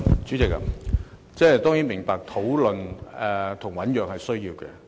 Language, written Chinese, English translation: Cantonese, 主席，我當然明白討論及醞釀是需要的。, President I of course understand that discussions and deliberations are necessary